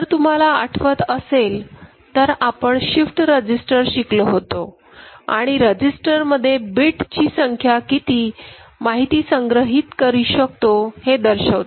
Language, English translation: Marathi, So, if you remember we discussed shift register, and there we noted that the number of bits in the register defines how many information can be stored, digital information can be stored